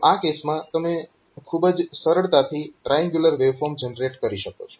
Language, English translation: Gujarati, So, in that case so you can very easily generate say triangular wave form